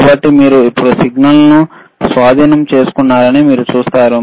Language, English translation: Telugu, So, you see you have now captured the signal